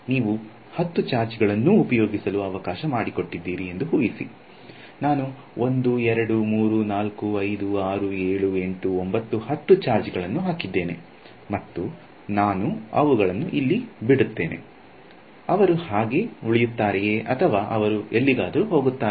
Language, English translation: Kannada, Imagine you have let us say 10 charges, I put 1 2 3 4 5 6 7 8 9 10 charges and I leave them, will they stay like that, what will where will they go